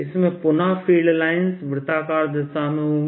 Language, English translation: Hindi, after all, field goes in a circular line